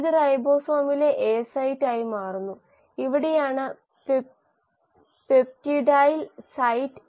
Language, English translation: Malayalam, This becomes the A site in the ribosome; this is where is the peptidyl site